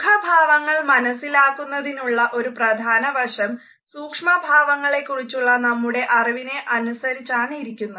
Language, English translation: Malayalam, A particular interesting aspect of the recognition of facial expressions is based on our understanding of what is known as micro expressions